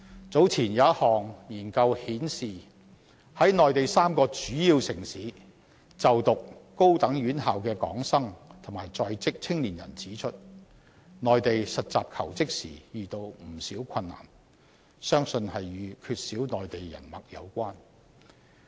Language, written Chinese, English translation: Cantonese, 早前有一項研究顯示，在內地3個主要城市就讀高等院校的港生及在職青年人指出，在內地實習求職時遇到不少困難，相信與缺少內地人脈有關。, According to a study report published earlier young people of Hong Kong studying in tertiary institutions or working in three major Mainland cities pointed out that they have encountered many problems in finding placement and they believe the reason was a lack of connections